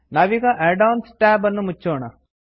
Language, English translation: Kannada, Lets close the Add ons tab